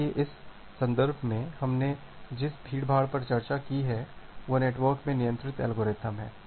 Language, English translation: Hindi, So, in this context, the congestion we discussed the congestion controlled algorithm in the network